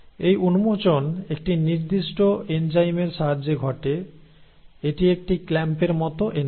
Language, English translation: Bengali, And this unwinding happens with the help of a particular enzyme, So it is like a clamp like enzyme